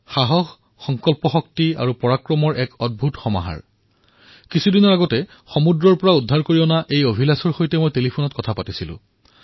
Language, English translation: Assamese, A rare example of courage, determination, strength and bravery a few days ago I talked to Abhilash over the telephone after he was rescued and brought safely ground